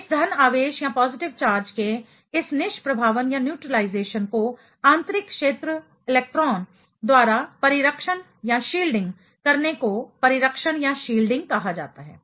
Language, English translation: Hindi, So, the shielding these neutralizations of this positive charge by the inner sphere electrons are called Shielding